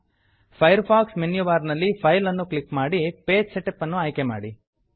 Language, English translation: Kannada, From the Firefox menu bar, click File and select Page Setup